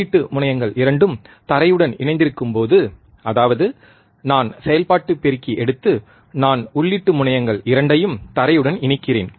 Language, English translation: Tamil, When both the input terminals are grounded right; that means, I take operational amplifier, and I ground both the input terminals